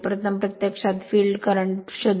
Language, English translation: Marathi, First, you find the field current